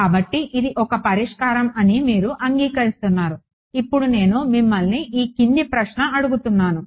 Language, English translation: Telugu, So, you agree that this is a solution now let me ask you the following question